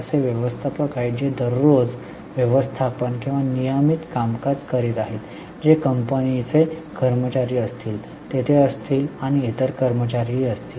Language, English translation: Marathi, There are managers who are doing day to day management or regular functioning who will be the employees of the company